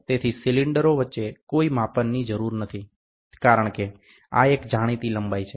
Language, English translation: Gujarati, So, no measurement is required between the cylinders, since this is a known length